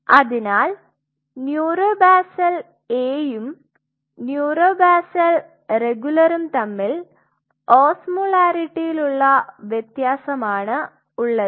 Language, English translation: Malayalam, So, neuro basal A and neuro basal regular, the difference is in osmolarity